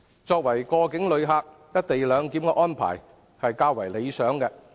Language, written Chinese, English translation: Cantonese, 作為過境旅客，"一地兩檢"安排是較為理想的。, To a transit passenger the co - location arrangement is a better measure